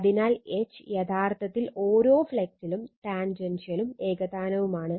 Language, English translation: Malayalam, So, H actually at every flux is tangential and uniform right